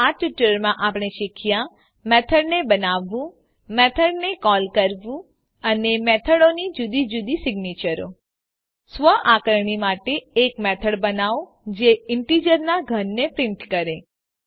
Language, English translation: Gujarati, So in this tutorial, we have learnt To create a method To call a method And Different signatures of methods For self assessment, create a method which prints the cube of an integer